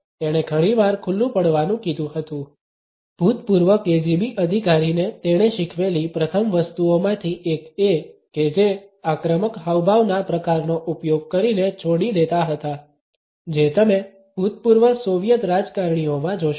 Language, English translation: Gujarati, He has told the mask out times one of the first things he taught the former KGB officer was just quit using the type of the aggressive gestures you will see in former Soviet politicians